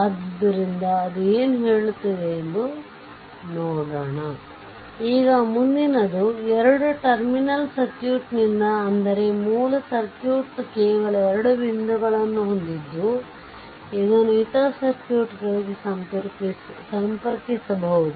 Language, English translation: Kannada, Now, next is that your by two terminal circuit we mean that the original circuit has only two point that can be connected to other circuits right